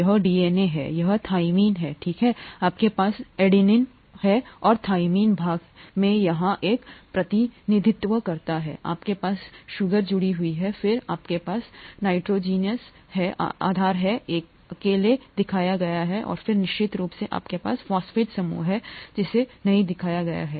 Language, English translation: Hindi, This is adenine, this is thymine, right, you have the adenine and thymine represented here in part, you have the sugar attached, then you have the nitrogenous base alone shown and then of course you have the phosphate group which is not shown